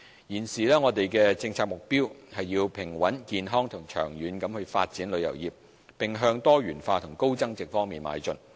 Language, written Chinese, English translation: Cantonese, 現時，我們的政策目標是要平穩、健康及長遠地發展旅遊業，並向多元化及高增值方向邁進。, At present it is our policy objective to pursue a balanced healthy and long - term development towards product diversification and high value - added services